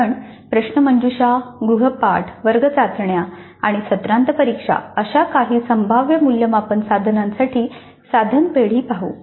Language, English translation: Marathi, Now let us look at the item banks for some of the possible assessment instruments like quizzes, assignments, class tests and semester and examinations